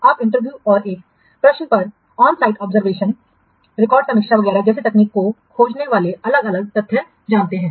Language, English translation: Hindi, You know the different fact finding techniques like interview and questionnaire on site observation record review etc